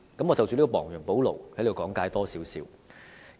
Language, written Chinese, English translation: Cantonese, 我想就"亡羊補牢"的說法稍作解釋。, I wish to briefly explain why I said that these are remedial measures